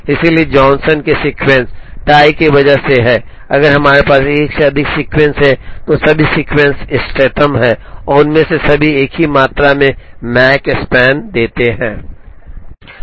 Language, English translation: Hindi, So Johnson’s sequences, because of tie is if we have more than one sequence all the sequences are optimal and all of them give the same amount of Makespan